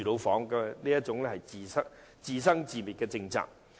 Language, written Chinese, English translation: Cantonese, 這是一項讓人自生自滅的政策。, This is a policy that leaves people to fend for themselves